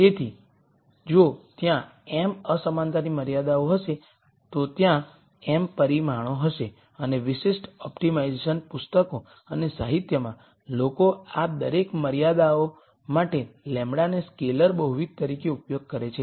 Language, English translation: Gujarati, So, if there are m inequality constraints there will be m parameters and in typical optimization books and literature people use lambda as a scalar multiple for each one of these constraints